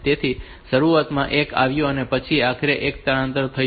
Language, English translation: Gujarati, So, initially the 1 came and then ultimately that 1 got shifted